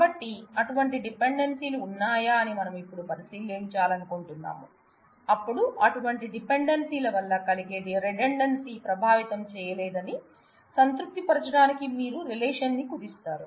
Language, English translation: Telugu, So, we would now like to look into if such dependencies exist, then how do you decompose a relation to satisfy that the redundancy caused by such dependencies are not affecting us